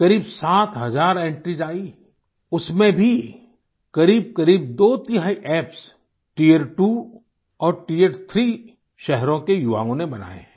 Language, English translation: Hindi, Around 7 thousand entries were received; of these too, nearly two thirds have been made by the youth of tier two and tier three cities